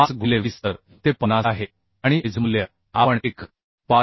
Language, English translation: Marathi, 5 into 20 so it is 50 and edge value we can consider 1